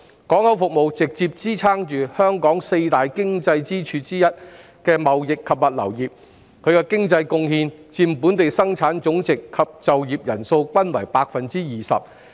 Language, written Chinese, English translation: Cantonese, 港口服務直接支撐香港四大經濟支柱之一的貿易及物流業，其經濟貢獻佔本地生產總值及就業人數均為 20%。, Port services industry has directly supported the trading and logistics industry one of Hong Kongs four key economic pillars with its economic contribution accounting for 20 % of both our Gross Domestic Product GDP and working population